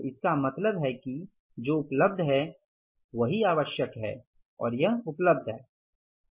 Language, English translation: Hindi, So it means this much is available, this much is required, this much is available